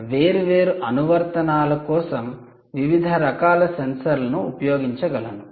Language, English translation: Telugu, you can you different types of sensors for different applications